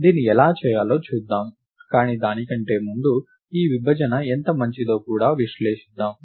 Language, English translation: Telugu, We will see how to do this, but before that let us also analyse how good this partition is